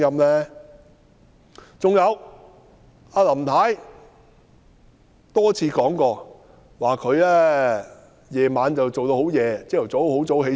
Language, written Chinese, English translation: Cantonese, 還有，林太多次提過，她工作至很晚，翌日又很早起身。, Furthermore Mrs LAM has said time and again that she works until late at night and gets up early next morning